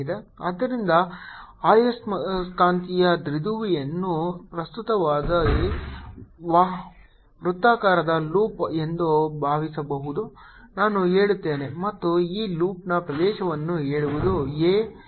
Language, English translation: Kannada, so a magnetic dipole can be thought of a circular loop of current, say i, and the area of this loop is, say a